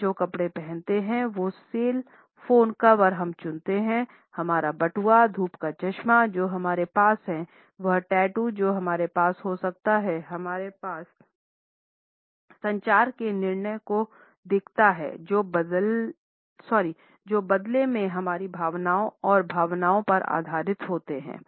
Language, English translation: Hindi, The clothes we wear, the cell phone cover we choose, the wallet which we carry, the sunglasses which we have, the tattoos which we may or may not have communicate our choices as well as decisions which in turn are based on our feelings and emotions